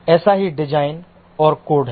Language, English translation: Hindi, Similar is the design and the code